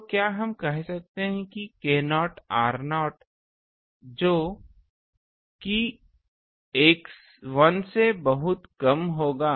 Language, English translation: Hindi, So, can we say that k naught r naught that will be much much less than 1